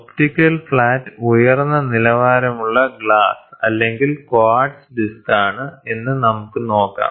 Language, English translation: Malayalam, Let us see that, an optical flat is a disc of high quality glass or quartz